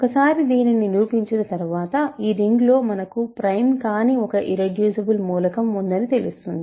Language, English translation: Telugu, Once I show this, it will follow that in this ring we have an element which is not prime, but it is irreducible